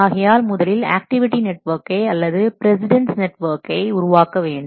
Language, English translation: Tamil, So, first step is that you construct the activity network or the precedence network